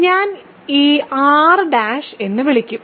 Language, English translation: Malayalam, And I will call this R prime